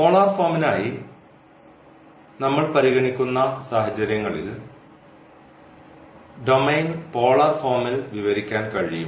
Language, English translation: Malayalam, So, the situations we will be considering for the polar form when we have for example the domain which can be described in polar form